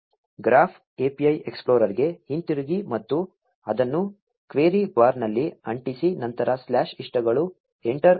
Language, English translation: Kannada, Go back to the graph API explorer and paste it in the query bar followed by slash likes, press enter